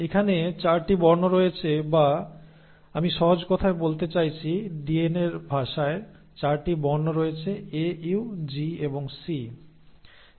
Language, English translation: Bengali, So there are 4 letters or I mean in simpler words the language of DNA has 4 alphabets, A, U, G and C